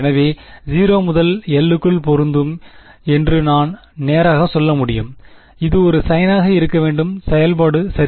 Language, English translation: Tamil, So, I can straight away say that this is going to fit within 0 to l it should be a sine function right